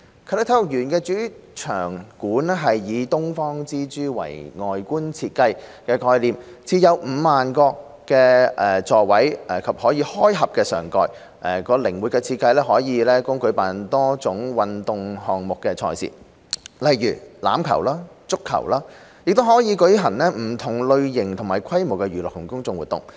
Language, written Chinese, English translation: Cantonese, 啟德體育園的主場館以"東方之珠"為外觀設計概念，設有 50,000 個座位及可開合上蓋，其靈活的設計可供舉辦多種運動項目的賽事，如欖球和足球，也可舉行不同類型及規模的娛樂及公眾活動。, The Main Stadium of the Sports Park will adopt Pearl of the Orient as its facade design theme . It will provide 50 000 seats and features a retractable roof . Its flexible design enables the organization of various sports events such as rugby and football events and a variety of entertainment and community events of different nature and scale